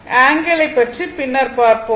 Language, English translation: Tamil, Angle we will see later